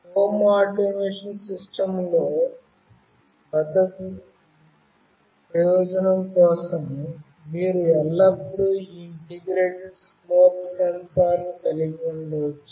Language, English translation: Telugu, In an home automation system, you can always have for security purpose, this smoke sensor integrated